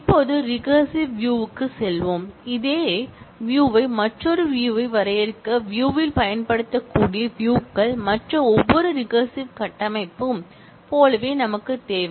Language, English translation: Tamil, Now, moving to recursive views, the views where the same relation can be used in the view to define another view, we need like every other recursive structure